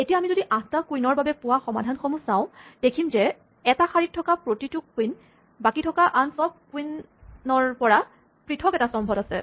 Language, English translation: Assamese, Now if we look at the solutions that we get for the 8 queens, each queen on row is in a different column from every other queen